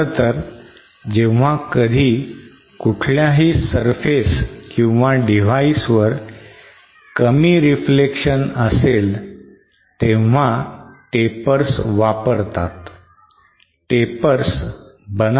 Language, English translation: Marathi, In fact at any time one reflection at any surface or device to be less, tapers are commonly used